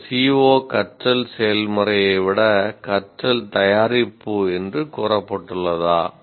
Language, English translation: Tamil, Is the C O stated as a learning product rather than in terms of learning process